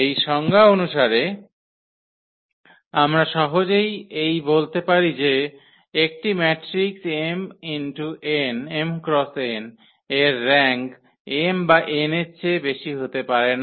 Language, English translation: Bengali, Just a consequence of this definition we can easily make it out that the rank of an m cross n matrix cannot be greater than n or m